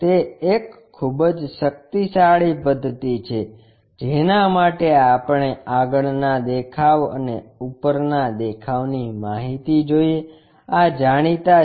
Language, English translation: Gujarati, It is a very powerful method for which we know the front view and top view, these are known